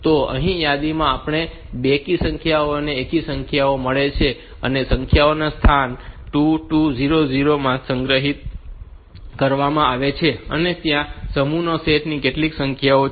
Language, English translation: Gujarati, So, in the list we have got both even numbers and odd numbers, and the numbers are stored from the location 2 2 0 0, and that is and there how many numbers are there in the set